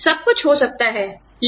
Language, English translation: Hindi, Everything may be, okay